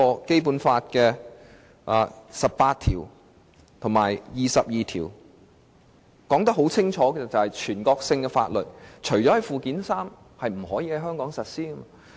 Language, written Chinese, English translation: Cantonese, 《基本法》第十八條和第二十二條清楚訂明，"全國性法律除列於本法附件三者外，不在香港特別行政區實施。, Article 18 of the Basic Law clearly stipulates that National laws shall not be applied in the Hong Kong Special Administrative Region except for those listed in Annex III to this Law